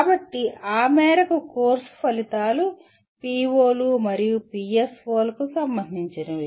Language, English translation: Telugu, So to that extent course outcomes have to be related to the POs and PSOs